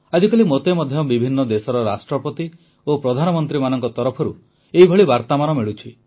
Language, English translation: Odia, These days, I too receive similar messages for India from Presidents and Prime Ministers of different countries of the world